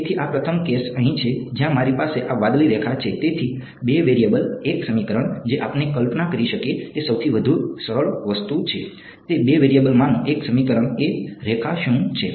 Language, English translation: Gujarati, So, this first case over here is where I have this blue line over here; so, two variables one equation that is the simplest thing we can visualize, that one equation in two variables is what a line